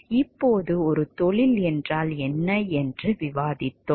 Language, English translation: Tamil, Now, when we have discussed what is a profession